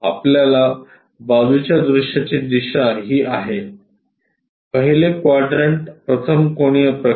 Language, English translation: Marathi, Our side view direction is this, first quadrant first angle projection